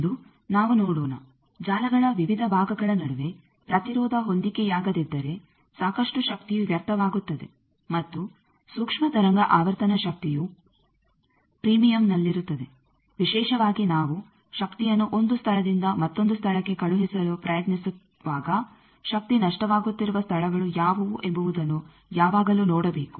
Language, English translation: Kannada, Today, we will see that between various parts of a network, if there is an impedance mismatch then lot of power gets wasted and in microwave frequency power is at premium; particularly when we are trying to send power from one place to another place, we should always see that what are the places where the power is getting loss